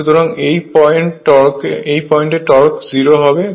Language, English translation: Bengali, So, when this is your torque is 0 at this point